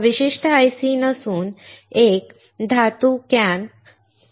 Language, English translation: Marathi, This particular IC is nothing but a metal can IC